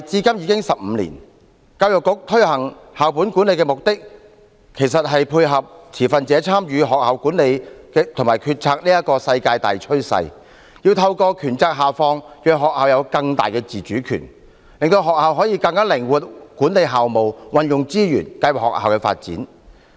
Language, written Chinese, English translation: Cantonese, 教育局推行校本管理的目的，其實是配合持份者參與學校管理和決策的世界大趨勢，要透過權責下放，讓學校有更大的自主權，令學校可以更靈活地管理校務、運用資源和計劃學校的發展。, The Education Bureau has implemented school - based management to dovetail with the global trend of stakeholders participating in school management and decision - making . Through devolution of power schools can enjoy greater autonomy and manage school affairs deploy resources and plan for school development more flexibly